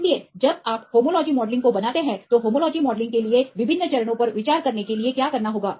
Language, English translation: Hindi, So, when you make the homology modelling right what are the various steps one has to be consider for homology modelling